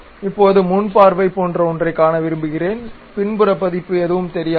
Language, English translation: Tamil, Now, I would like to see something like only front view; the back side version would not be visible